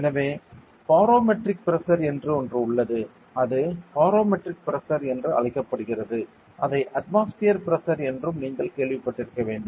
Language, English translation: Tamil, This is called as barometric pressure so it is right it is also known as atmospheric pressure